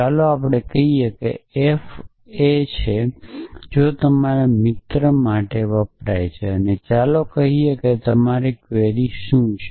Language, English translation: Gujarati, So, let say f is f if stands for your friend and let say your query is a essentially that